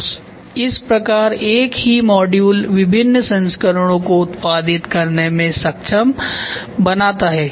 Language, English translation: Hindi, So, thus enabling a variety of versions of the same module to be produced